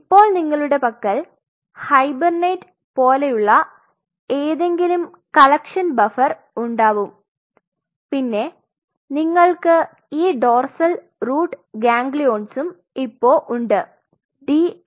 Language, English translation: Malayalam, So, now what you have the collection buffers something like hibernate or something you have these dorsal root ganglions DRGs